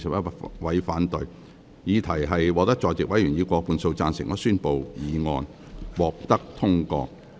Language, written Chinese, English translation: Cantonese, 由於議題獲得在席委員以過半數贊成，他於是宣布議案獲得通過。, Since the question was agreed by a majority of the Members present he therefore declared that the motion was passed